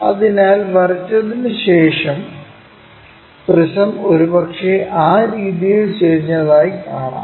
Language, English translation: Malayalam, So, after drawing we see that the prism perhaps inclined in that way